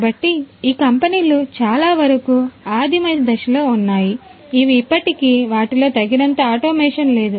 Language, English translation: Telugu, So, most of this companies are still in the primitive stages they are they still do not have you know adequate automation in them